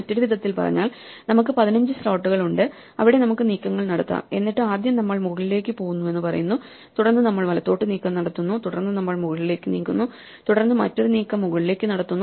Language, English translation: Malayalam, So, we have in other words we have 15 slots, where we can make moves and then we just say first we make an up move, then we make a right move then we make an up move then make another up move and so on